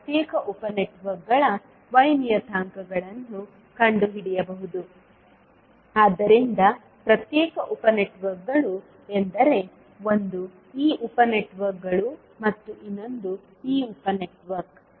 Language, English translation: Kannada, We can find the Y parameters of individual sub networks, so individual sub networks means one is this sub networks and another is this sub network